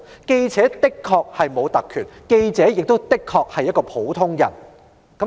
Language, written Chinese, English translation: Cantonese, 記者的確沒有特權，記者亦確實是普通人。, Indeed journalists are ordinary people who do not have privileges